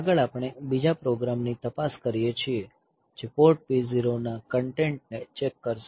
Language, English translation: Gujarati, Next we look into another program that we will check the content of port P 0